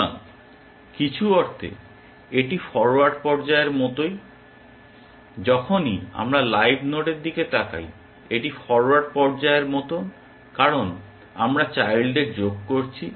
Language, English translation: Bengali, So, in some sense this is like the forward phase, whenever we are looking at the live node it is like forward phase because we are adding the children